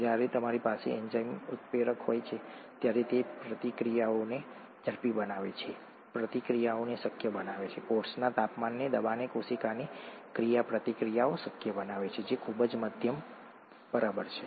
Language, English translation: Gujarati, When you have an enzyme a catalyst, it speeds up the reactions, makes reactions possible, make cell reactions possible at the temperature pressure of the cell, which is very moderate, right